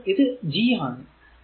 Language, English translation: Malayalam, So, it is G is 0